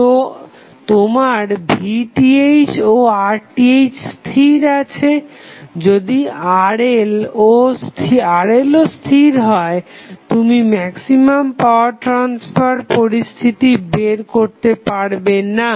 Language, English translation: Bengali, So, your Vth and Rth is already fixed, if Rl is also fixed, you cannot find the maximum power transfer condition